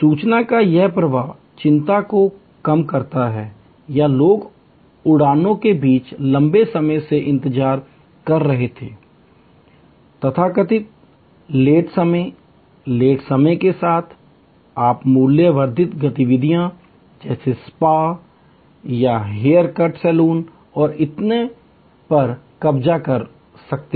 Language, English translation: Hindi, This flow of information reduces anxiety or were people are waiting for long time between flights, the so called lay of time, lay over time, you can occupy through value added activities like a spa or a haircut saloon and so on